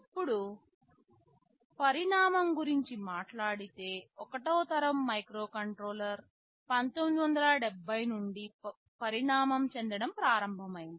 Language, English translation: Telugu, Now, talking about evolution, since the 1970’s the 1st generation of microcontroller started to evolve